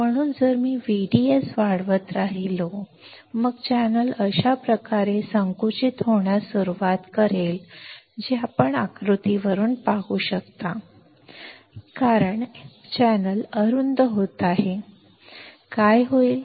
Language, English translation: Marathi, So, if I keep on increasing V D S; then, channel will start getting narrowed like this which you can see from the figure, right over here and because the channel is getting narrow, what will happen